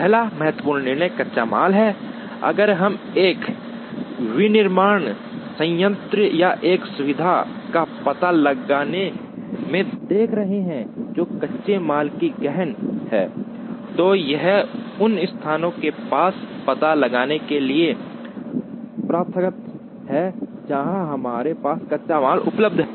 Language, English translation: Hindi, The first important decision is raw material, if we are looking at locating a manufacturing plant or a facility, which is raw material intensive, then it is customary to locate these near the places, where we have raw material is available